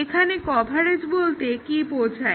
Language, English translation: Bengali, What is coverage here